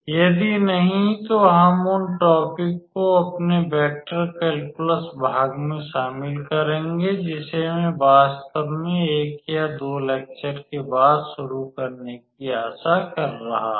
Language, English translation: Hindi, If not then we will cover those topics in our vector calculus part which will I am hoping to start it next one or two lectures after actually